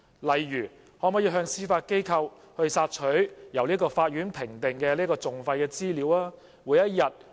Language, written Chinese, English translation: Cantonese, 例如，可否向司法機構索取由法院評定的訟費資料？, Can the Administration seek information about the costs assessed by the Court from the Judiciary?